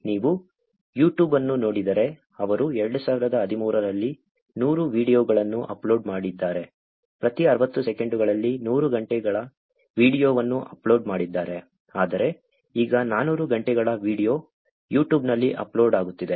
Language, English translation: Kannada, If you look at YouTube, they seem to have had 100 videos uploaded, 100 hours of video uploaded in every 60 seconds in 2013, whereas it is now 400 hours of video are getting uploaded on YouTube